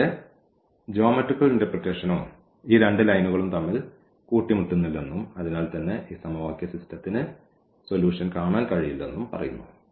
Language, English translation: Malayalam, And, the geometrical interpretation also says the same that these two lines they do not intersect and hence, we cannot have a solution for this given system of equations